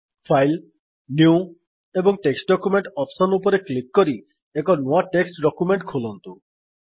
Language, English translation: Odia, Lets open a new text document by clicking on File, New and Text Document option